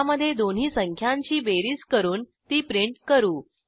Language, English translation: Marathi, In this we add the two numbers and print the sum